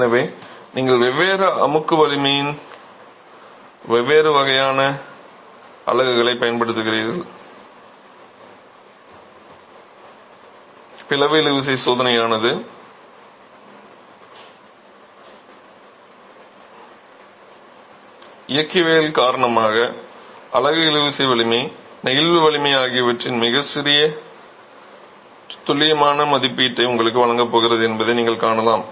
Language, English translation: Tamil, So, you are using different types of units of different compressive strength, you can see that the split tension test is going to give you a much more accurate estimate of the tensile strength of the unit, the flexual strength because of the mechanics of the cross section and the strain gradient will be slightly higher